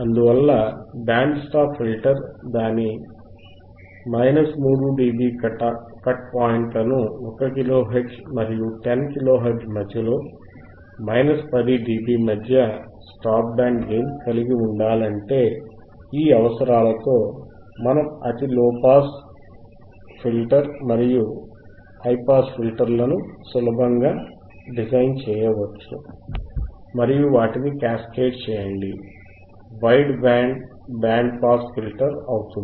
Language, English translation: Telugu, Thus, if we require thus if require a band stop filter to have its minus 3dB cut off points at say, at 1 Kilo Hhertz and 10 Kilo Hhertz and a stop band gain atof minus 10dB in between, we can easily design a low pass filter and a high pass filter with thisese requirements and simply by ccascade them together to from our wide band band pass filter design right